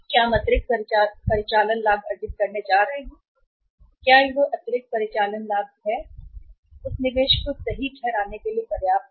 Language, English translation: Hindi, Whether we are going to earn additional operating profit and whether that additional operating profit is sufficient to justify that investment